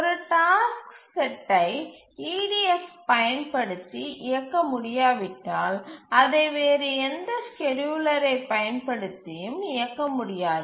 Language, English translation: Tamil, If a task set cannot be run using EDF, it cannot be run using any other schedulers